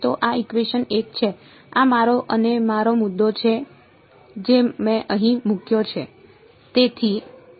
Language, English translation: Gujarati, So, this is equation 1 this is my and my point here r prime I have put over here